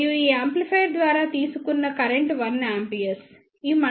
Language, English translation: Telugu, And the current drawn by this amplifier is 1 ampere